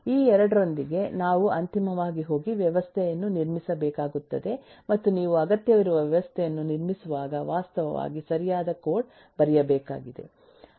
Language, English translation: Kannada, with these 2, we will finally have to go and build the system, and when you build the system, we need to actually right code